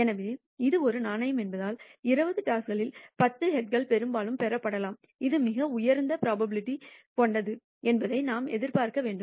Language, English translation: Tamil, So, clearly since it is a fair coin, we should expect that out of the 20 tosses, 10 heads are most likely to be obtained and this has the highest probability